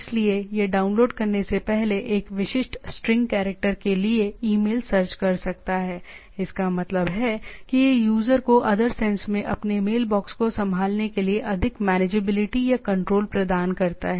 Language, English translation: Hindi, So, it can be it can search the email for a specific string of characters before downloading that, that means, it keeps more manageability or control to the user to handle his mailbox in other sense